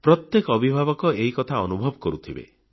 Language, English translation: Odia, Every parent must be experiencing this